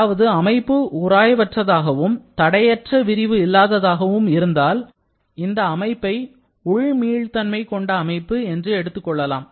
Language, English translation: Tamil, That is if the system is frictionless and there is no unrestrained expansion, then we can call the system to be internally reversible